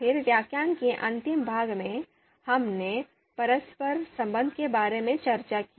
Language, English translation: Hindi, Then at the last part of the lecture, we were discussing outranking relation